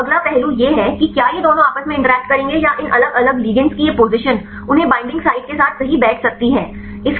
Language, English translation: Hindi, Now the next aspect is whether these two will interact or how far these pose of these different ligands they can fit with the binding site right